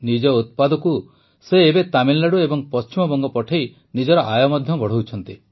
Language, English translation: Odia, Now by sending his produce to Tamil Nadu and West Bengal he is raising his income also